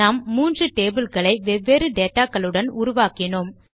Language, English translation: Tamil, So we created three tables to store three different sets of information